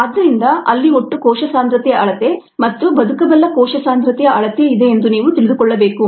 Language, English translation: Kannada, so we need to know that there is a total cell concentration measurement and a viable cell concentration measurement